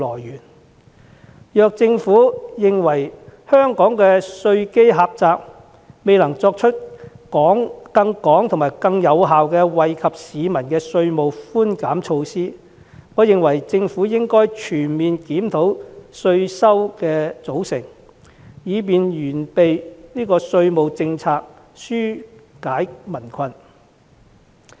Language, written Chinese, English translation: Cantonese, 如果政府認為香港的稅基狹窄，以致未能推出更廣泛、更有效的稅務寬減措施，我認為政府應該全面檢討稅收來源，以完善稅務政策，紓解民困。, If the Government is of the view that Hong Kongs narrow tax base is the reason for failure to implement a wider range of more effective concessionary tax initiatives it should conduct a comprehensive review of its sources of tax revenue to improve its tax policy and relieve the difficulties of the public